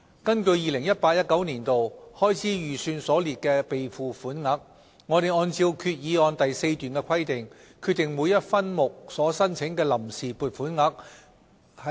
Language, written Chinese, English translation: Cantonese, 根據 2018-2019 年度開支預算所列的備付款額，我們按照決議案第4段的規定，決定每一分目所申請的臨時撥款額。, The funds on account sought under each subhead in accordance with the fourth paragraph of the resolution have been determined with reference to the relevant provisions in the 2018 - 2019 Estimates of Expenditure